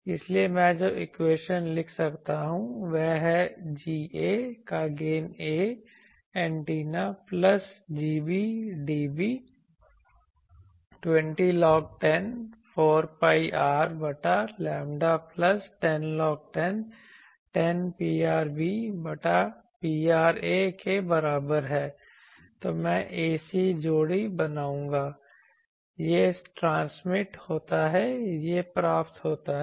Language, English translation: Hindi, So, the equation I can write is G a dB G a is the gain of a antenna plus G b dB is equal to 20 log 10 4 pi R by lambda plus 10 log 10 P rb by P ra, then I will make ‘ac’ pair this is transmitted this is received